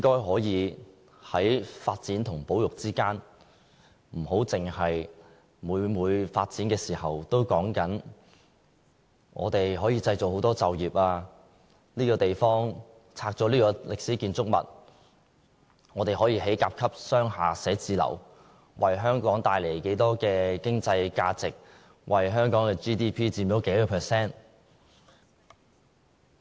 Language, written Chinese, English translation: Cantonese, 所以，在發展和保育之間，可否不要每每在發展的時候，只說可以製造多少就業、拆掉這座歷史建築物後，可以興建甲級商廈寫字樓，為香港帶來多少經濟價值、佔香港 GDP 多少個百分比。, Hence in terms of the balance between development and conservation whenever there are plans to demolish historic buildings for the development of grade A commercial buildings can the Government refrain from only mentioning stuff like the creation of jobs the amount of economic values to be generated and the contribution to local GDP?